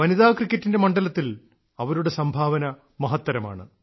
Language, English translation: Malayalam, Her contribution in the field of women's cricket is fabulous